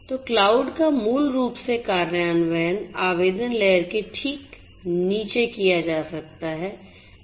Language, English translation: Hindi, So, cloud basically implementation can be done you know just below the application layer